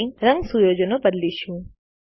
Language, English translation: Gujarati, Let us now change the colour settings